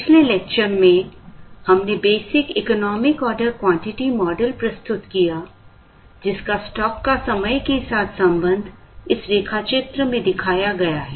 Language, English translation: Hindi, In the previous lecture, we introduced the basic economic order quantity model, whose stock verses time relationship is shown in this figure